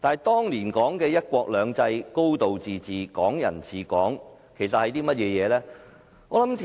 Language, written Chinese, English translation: Cantonese, 當年說的"一國兩制"、"高度自治"、"港人治港"是甚麼呢？, What are the principles of one country two systems a high degree of autonomy and Hong Kong people ruling Hong Kong as stated back then?